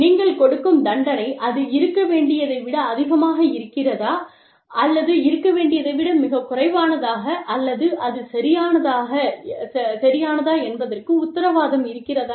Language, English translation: Tamil, And, is the punishment, you are giving, much more than it should be, or much less than it should be, or is it just right, is it even warranted